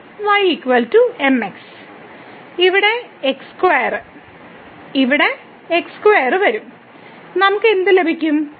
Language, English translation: Malayalam, So, here x square here square here square